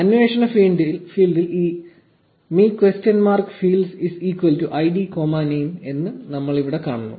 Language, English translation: Malayalam, We see here that the query field has this me question mark fields is equal to id comma name here